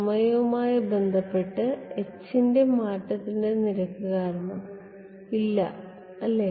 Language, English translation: Malayalam, No right because its rate of change of h with respect to time